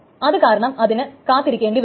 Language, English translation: Malayalam, So it will keep on waiting